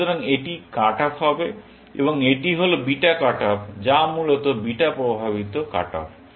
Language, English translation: Bengali, So, this will be cutoff, and this is the beta cut off, or beta induced cut off, essentially